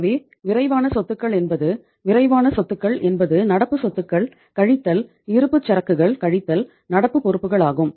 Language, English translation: Tamil, So quick assets are one which are say quick assets are current assets minus inventory divided by the current liabilities